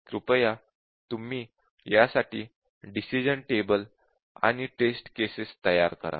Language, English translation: Marathi, So, please form the decision table for this, and please form the test cases